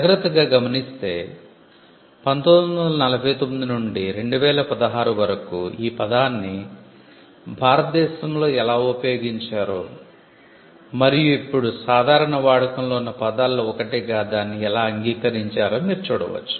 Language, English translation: Telugu, So, you can see starting from 1949 onwards how till 2016 how the term has been used in India, and how it has now been accepted as one of one of the terms with common use